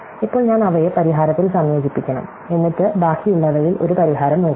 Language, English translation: Malayalam, Now, I claim that, I should combine them in the solution, and then look for a solution in the rest